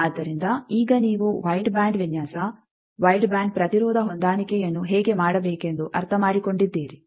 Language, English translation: Kannada, So, now, you understood how to do a wide band design, wide band impedance matching